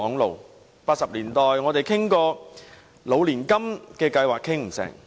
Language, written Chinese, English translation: Cantonese, 在1980年代，我們曾討論"老年金"計劃，但不成功。, In the 1980s we discussed the annuity scheme for the elderly yet it ended in vain